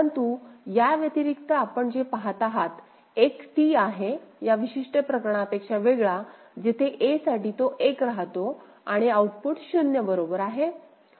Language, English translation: Marathi, But in addition to that what you see a there is a T4 unlike this particular case where for 1 it is staying in a and the output is 0 right